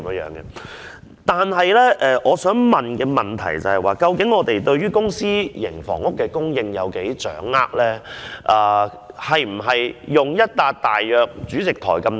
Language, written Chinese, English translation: Cantonese, 然而，我想問局方對於公私營房屋的供應情況究竟有多大的掌握？, However I would like to ask the Bureau how much does it know about the supply of public and private housing?